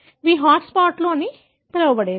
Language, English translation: Telugu, These are hot spots, what they called as